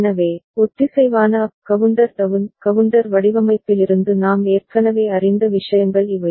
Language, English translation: Tamil, So, these are the things that we already know from synchronous up counter down counter design